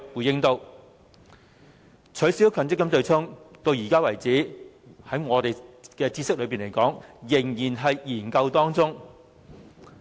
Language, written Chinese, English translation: Cantonese, 至於取消強積金對沖機制，據我們所知，至今仍然在"研究"中。, As for the abolishment of the offsetting mechanism under the Mandatory Provident Fund System it is still under study as far as I know